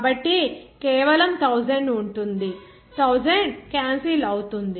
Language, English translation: Telugu, So, simply 1000, 1000s will be canceled out